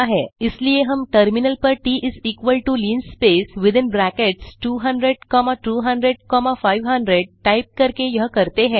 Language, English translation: Hindi, Hence we do this, by typing on the terminal T is equal to linspace within brackets 200 comma 200 comma 500